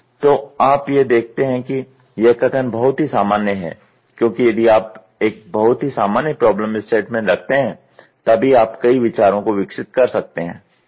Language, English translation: Hindi, So, you see the statement it is very generic because if you put a very generic problem statement then only you can evolve multiple ideas, ok